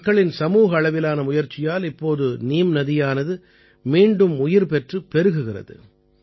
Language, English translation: Tamil, On account of the collective efforts of the people, the Neem river has started flowing again